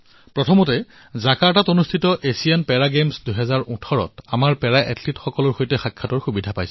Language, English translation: Assamese, First, I got an opportunity to meet our Para Athletes who participated in the Asian Para Games 2018 held at Jakarta